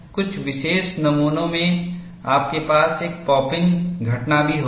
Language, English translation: Hindi, In certain specimens, you will also have a pop in phenomenon